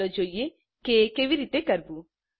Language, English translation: Gujarati, Lets see how it is done